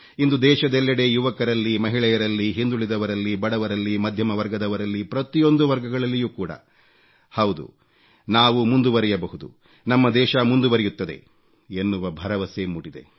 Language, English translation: Kannada, Today, the entire country, the youth, women, the marginalized, the underprivileged, the middle class, in fact every section has awakened to a new confidence … YES, we can go forward, the country can take great strides